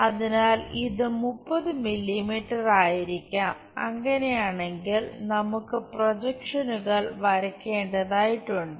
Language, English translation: Malayalam, So, this might be 30 mm if that is the case we have to draw projections